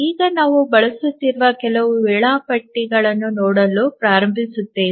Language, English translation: Kannada, So, now we will start looking at some of the schedulers that are being used